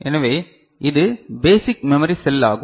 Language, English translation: Tamil, So, this is the basic memory cell all right